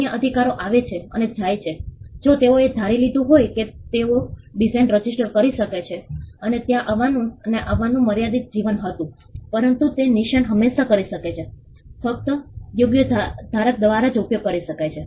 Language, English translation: Gujarati, The other rights come and go if they had assumed that they had registered a design and there was a limited life for it would come and go, but the mark can always; can only be used by the right holder